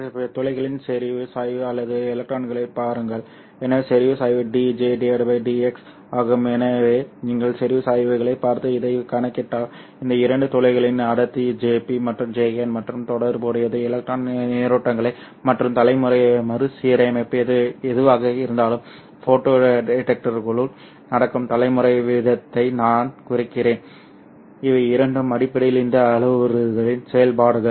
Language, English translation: Tamil, But briefly the idea is that if you evaluate MN by assuming pure electron injection and you determine m h by pure hole injection and then look at the concentration gradient of the holes or the electrons so concentration gradient is d j by d x so if you look at the concentration gradients and calculate these you know relate these to the densities JP and JN of the whole as well as the electron currents plus whatever the generation recombin, I mean generation rate that is happening inside the photodetector, these two are essentially functions of all these parameters